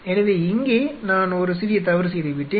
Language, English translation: Tamil, So, there are here I just made a small mistake